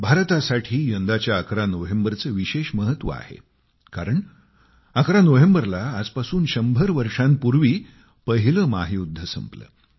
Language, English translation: Marathi, For India, 11th of November this year has a special significance because on 11thNovember a hundred years back the World War I had ended